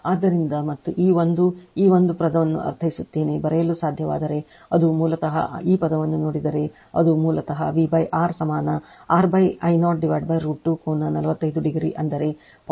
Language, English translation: Kannada, So, and I mean this 1 this 1 1 upon your this term if you can write it will be basically this term will look at this term if you see it will basically V by R equalR upon I 0 divided by root 2 angle 45 degree that is your 0